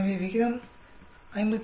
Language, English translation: Tamil, So, the F ratio is 57